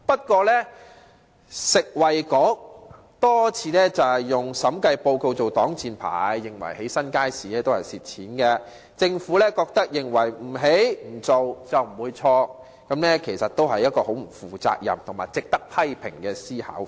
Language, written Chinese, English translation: Cantonese, 可是，食物及衞生局卻多次以審計報告作擋箭牌，認為興建新街市會導致虧蝕，政府認為不建、不做，就不會錯，這其實是相當不負責任及值得批評的思維。, However the Food and Health Bureau has repeatedly used the audit report as a shield holding that the construction of a new market will lead to losses . The Government considers that not constructing and not doing anything will not lead to any mistake . This is in fact a rather irresponsible mindset that warrants criticisms